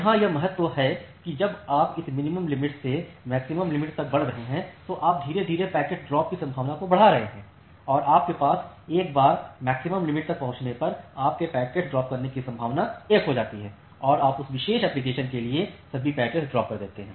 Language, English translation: Hindi, So, that is the significance here that as you are moving from this minimum threshold to the maximum threshold you are gradually increasing the packet drop probability and once you have reached to the maximum threshold, your packet drop probability becomes 1 and you drop all the packets for that particular application